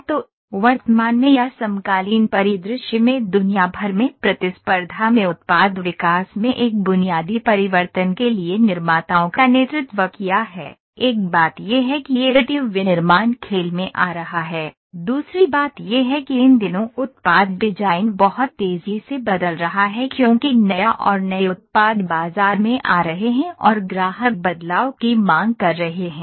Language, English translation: Hindi, So, what is there in the present or in the contemporary scenario worldwide competition has led manufacturers to a basic change into product development, one thing is additive manufacturing is coming into play, second thing is the product design is changing very drastically these days because new and new products are coming in the market and customers are demanding the change